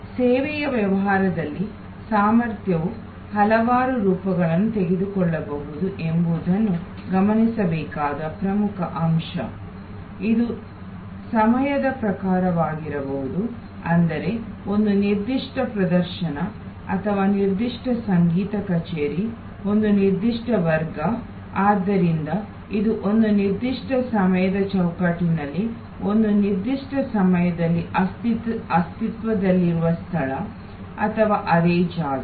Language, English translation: Kannada, Important point to note that the capacity can take several forms in the service business, it could be in terms of time that means, a particular show or a particular concert, a particular class, so which is existing in a particular time frame at a particular space or in the same space